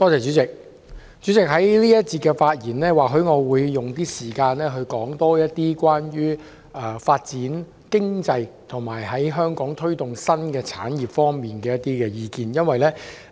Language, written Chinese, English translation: Cantonese, 主席，在這一個環節，我會用少許時間多討論有關發展經濟，以及在香港推動新產業方面的一些意見。, President in this session I will spend a little time on discussing economic development and I will also present my views on the promotion of new industries in Hong Kong